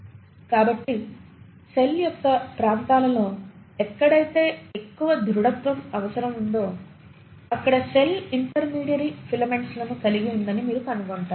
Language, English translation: Telugu, So in regions of the cell where there has to be much more rigidity required you will find that the cell consists of intermediary filaments